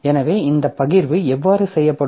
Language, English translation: Tamil, So how this sharing will be done